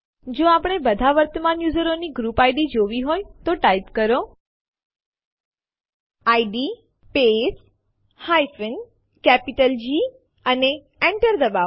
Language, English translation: Gujarati, If we want to view all the current users group IDs, type id space G and press Enter